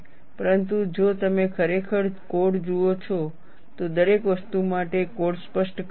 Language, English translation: Gujarati, But if you really look at the code, for everything the code specifies